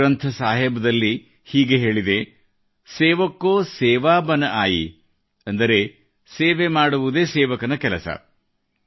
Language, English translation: Kannada, It is mentioned in Guru Granth Sahib "sevak ko seva bun aayee", that is the work of a sevak, a servant is to serve